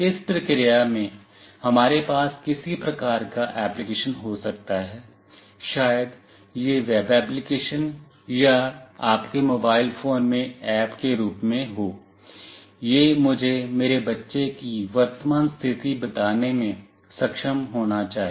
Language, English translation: Hindi, In this process we can have some kind of application maybe it as a web application or an app in your mobile phone, it should able to tell me the current location of my child